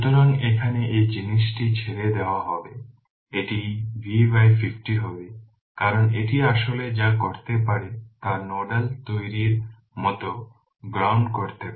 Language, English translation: Bengali, So, here it will be leaving this thing it will be V by 50 because this is actually what you can do is you can ground it right like nodal analysis we are making